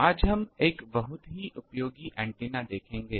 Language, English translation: Hindi, Today we will see a really useful antenna